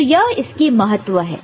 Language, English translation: Hindi, So, this is the significance of it